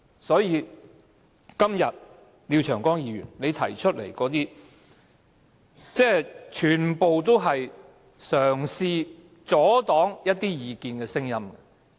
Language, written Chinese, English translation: Cantonese, 所以，今天廖長江議員提出的修正案，全部也是企圖阻擋一些意見的聲音。, To sum up I would say all the amendments Mr Martin LIAO puts forward are attempts to obstruct the expression of opinions